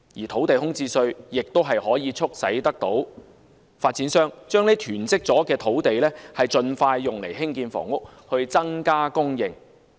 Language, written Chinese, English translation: Cantonese, 土地空置稅也可促使發展商將囤積的土地盡快用作興建房屋以增加供應。, The introduction of idle land tax can also push developers to release hoarded land for housing construction in order to increase the supply